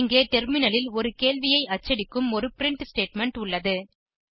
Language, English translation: Tamil, Here I have a print statement, which will print a question on the terminal